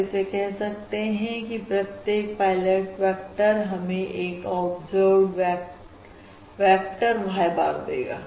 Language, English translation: Hindi, So, corresponding to each of these pilot vectors, we are going to have an observed vector, y bar